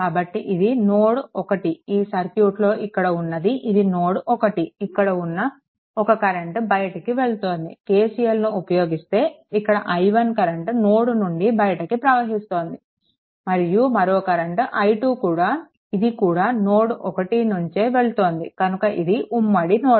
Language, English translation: Telugu, So, it is therefore, this is your node 1, this is your node 1 one current is leaving just putting like KCL ah the way we explained before, this is i 1 this current is also leaving this is i 2 right another current is there this is a common node